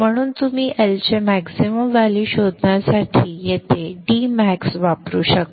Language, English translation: Marathi, This would be the value of the index and you can calculate the L max using maximum value of D max